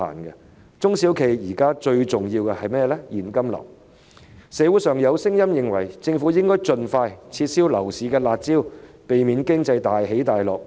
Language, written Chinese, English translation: Cantonese, 現時對中小企最重要的就是現金流，社會上有聲音認為政府應該盡快撤銷樓市"辣招"，避免經濟大起大落。, Nowadays what is most important for SMEs is cash flow . There are voices in society that the Government should expeditiously revoke the harsh measures targeting the housing market so as to avoid upheavals in the economy